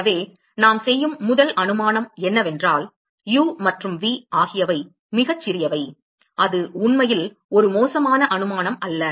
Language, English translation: Tamil, So, the first assumption we make is that the u and v are very small and that is not a bad assumption actually